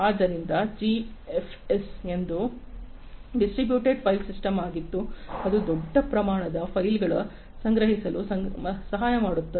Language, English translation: Kannada, So, GFS is a distributed file system that helps in supporting in the storing, storage of large scale files